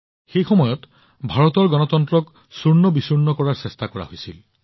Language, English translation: Assamese, At that time an attempt was made to crush the democracy of India